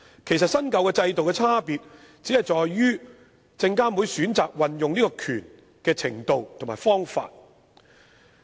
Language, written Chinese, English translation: Cantonese, 其實，新舊制度的差別只在於證監會負責運用這權力的程度和方法。, The difference between the old and the new systems actually lies in the question of how far SFC exercises this power and also the approach it adopts